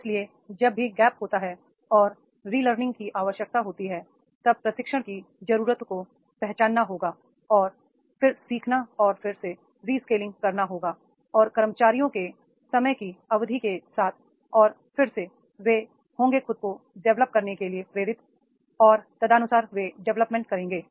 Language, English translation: Hindi, So, there is a gap is there and there is a need for the relearning, then the training needs are to be identified and then learning and re skilling will be done and again and again with the period of time the employees they will be motivated to develop themselves and accordingly they will develop it